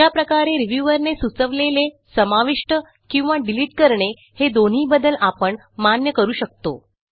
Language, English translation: Marathi, In this way, edits suggested by the reviewer, both insertions and deletions, can be accepted by the author